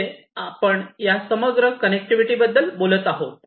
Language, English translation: Marathi, 0, we are talking about this holistic connectivity